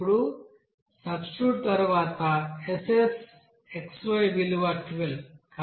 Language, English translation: Telugu, Now after substitution of this value of SSxy is nothing but 12